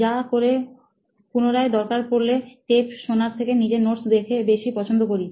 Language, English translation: Bengali, So only to refer back to it, I would prefer my notes rather than going through the tapes